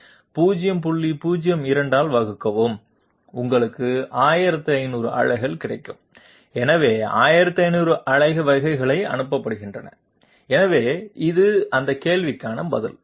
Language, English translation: Tamil, 02 and you will get 1500 pulses, so 1500 pulses are being sent through so this is the answer to that question